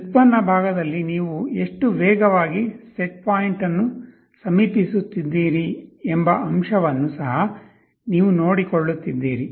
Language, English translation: Kannada, In the derivative part you are also taking care of the fact that how fast you are approaching the set point that also you are taking care of